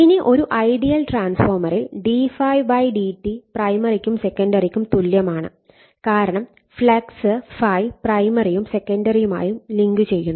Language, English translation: Malayalam, Now, in an ideal transformer d∅ d psi /dt is same for both primary and secondary winding because the flux ∅ linking both primary and secondary winding